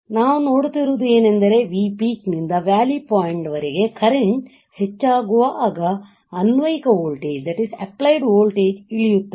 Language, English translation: Kannada, What I see is that from V peak to valley point the applied voltage drops while the current increases